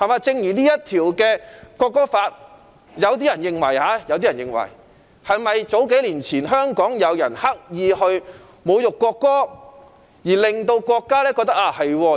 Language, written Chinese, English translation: Cantonese, 就《條例草案》而言，有人認為，數年前香港有人刻意侮辱國歌，令國家認為有立法的需要。, Regarding the Bill there are views that the intentional insult of the national anthem by some people in Hong Kong several years ago prompted the Central Authorities to consider the need to enact legislation